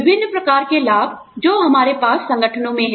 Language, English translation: Hindi, Various types of benefits, that we have in organizations